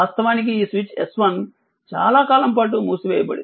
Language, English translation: Telugu, So, this is this switch S 1 was closed for long time